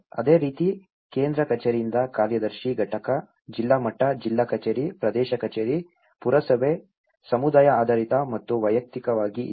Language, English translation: Kannada, Similarly, the central office to the secretarial unit, district level, district office, area office, municipality, community based and individually